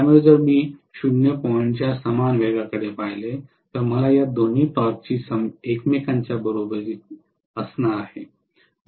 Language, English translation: Marathi, So, if I look at speed equal to 0 point, I am going to have both these torque exactly being equal to each other